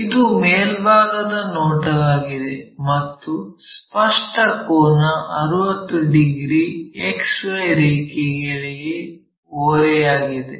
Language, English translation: Kannada, It is top view is again apparent angle 60 degrees inclined to XY line